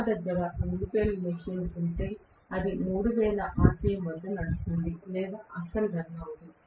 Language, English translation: Telugu, If I have 2 pole machine, it is going to run at 3000 rpm or run, not run at all